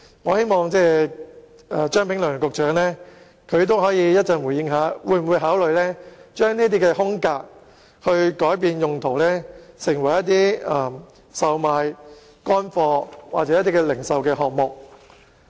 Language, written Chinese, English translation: Cantonese, 我希望張炳良局長稍後可以對此回應，會否考慮改變這些空間的用途，成為售賣乾貨或零售場所。, I hope Secretary Prof Anthony CHEUNG can give a response later regarding whether or not consideration will be given to changing the purposes of these spaces and turning them into outlets for selling dried items or retail